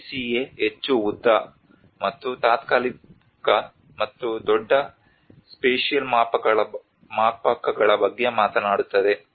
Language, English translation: Kannada, The CCA talks about the more longer and temporal and larger spatial scales